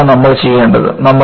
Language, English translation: Malayalam, This is what, you want to do